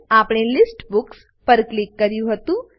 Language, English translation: Gujarati, We clicked on List Books